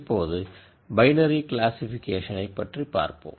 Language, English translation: Tamil, So, that is another binary classification example